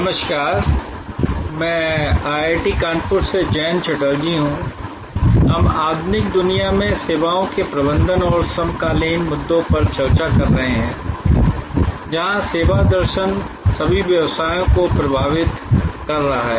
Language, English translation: Hindi, Hello, I am Jayanta Chatterjee from IIT Kanpur, we are discussing managing services and the contemporary issues in the modern world, where the service philosophy is influencing all businesses